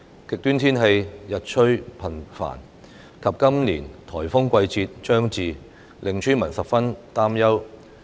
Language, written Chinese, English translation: Cantonese, 極端天氣日趨頻繁及今年颱風季節將至，令村民十分擔憂。, As extreme weather conditions have become increasingly frequent and this years typhoon season is drawing near the villagers are very worried